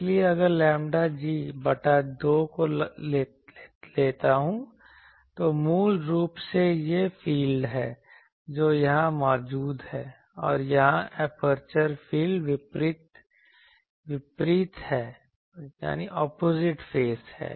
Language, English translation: Hindi, So, if I take lambda g by 2, basically they are the fields that are present here and here the aperture fields are opposite phase